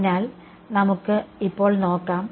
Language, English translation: Malayalam, So, let us see now